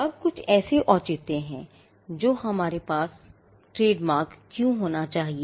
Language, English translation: Hindi, Now, there are some justifications as to why we should have trademarks